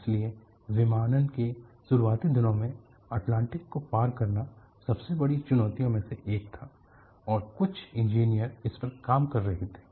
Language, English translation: Hindi, So, in the early days of aviation, crossing the Atlantic was one of the biggest challenges,and there were also engineers who were working